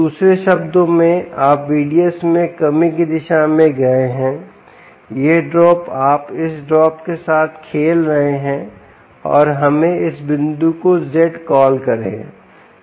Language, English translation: Hindi, in other words, you have gone in the direction of reduction in v d s, this drop, you are playing with this drop, and let us call this point as z